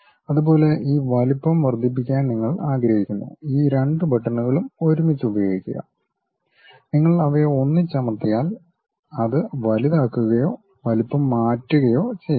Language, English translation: Malayalam, Similarly, you want to increase that size use these two buttons together, you press them together so that it enlarges or change the size